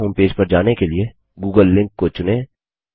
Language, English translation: Hindi, Choose the google link to be directed back to the google homepage